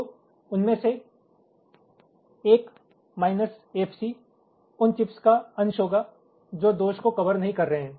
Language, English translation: Hindi, so out of them, one minus f c will be those fraction of the chips which faults are not being covered